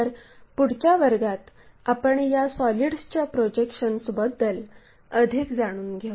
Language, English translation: Marathi, So, thank you very much and in the next class we will learn more about this projection of solids